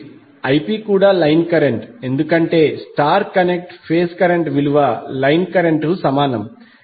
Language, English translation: Telugu, 66 degree and Ip is given that is line current also because in case of star connected phase current is equal to line current